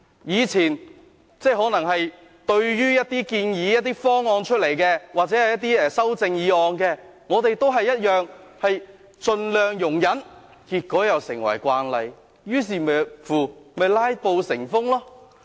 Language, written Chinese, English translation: Cantonese, 以前，對於一些建議或修正案，我們也盡量容忍，結果又成為慣例，導致"拉布"成風。, In the past we tried to tolerate that when it came to some proposals or amendments . As a result filibusters became a common practice